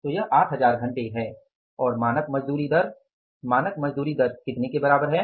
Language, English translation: Hindi, So it is 8,000 hours and the standard wage rate is standard wage rate is equal to how much